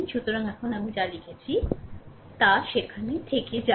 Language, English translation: Bengali, So, now, whatever I have written will go to that; right